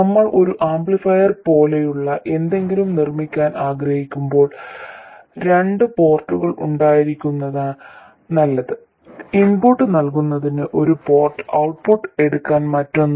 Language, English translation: Malayalam, When we want to make something like an amplifier, it is preferable to have two ports, one port to feed the input and another one to take the output from